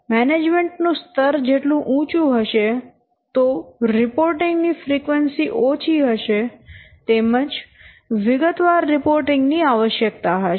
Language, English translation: Gujarati, So higher is the management, lesser is the frequency and lesser is also the detailed reports